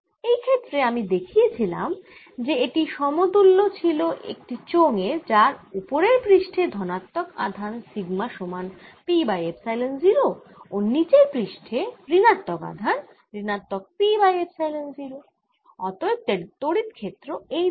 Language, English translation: Bengali, this way, in this case, we showed that this was equivalent to the cylinder with positive charges on top, which sigma equals p over epsilon, zero negative charges on the bottom, with charge being minus p upon zero, and the electric field therefore is in this direction